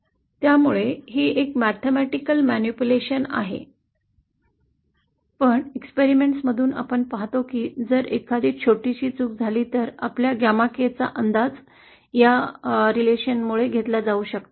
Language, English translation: Marathi, So it’s a mathematical manipulation, but since we see from experiments that if there is a small mismatch, our gamma k indeed can be approximated by this relationship